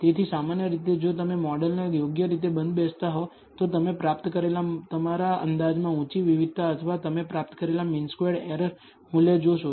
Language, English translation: Gujarati, So, typically if you over fit the model, you will find high variability in your estimates that you obtain or the mean squared error values that you obtain